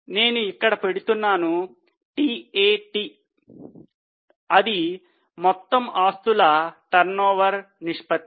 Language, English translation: Telugu, One is TAT, that is total asset turnover ratio